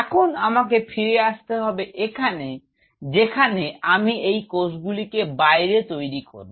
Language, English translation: Bengali, Now if I have to coming back here if I have to grow these cells outside